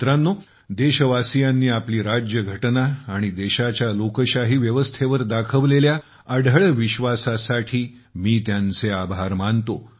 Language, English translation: Marathi, Friends, today I also thank the countrymen for having reiterated their unwavering faith in our Constitution and the democratic systems of the country